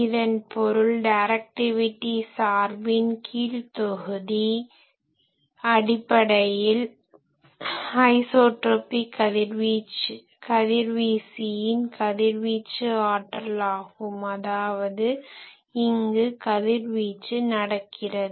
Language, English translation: Tamil, That means, in the denominator of directivity function basically we say that power radiated by an isotropic radiator; that means, this radiation is taking place here